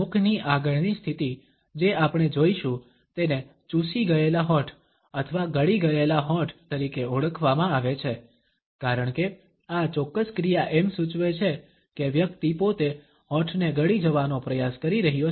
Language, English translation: Gujarati, The next type of position of mouth which we shall take up is known as sucked lips or swallowed lips, because this particular action suggests as one is trying to swallow the lips themselves